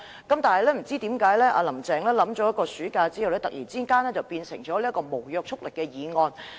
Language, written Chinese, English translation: Cantonese, 可是，不知何故，"林鄭"在暑假期間深入考慮後，突然改為提出無約束力的議案。, However for reasons unknown after serious consideration during the summer recess Carrie LAM suddenly changed her mind and moved a non - binding motion instead